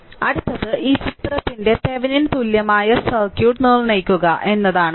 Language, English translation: Malayalam, So, next another one is determine Thevenin equivalent circuit of this figure